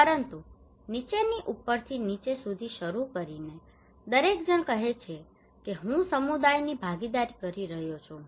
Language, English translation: Gujarati, But starting from the bottom to the top bottom to the top, everybody is saying that I am doing community participations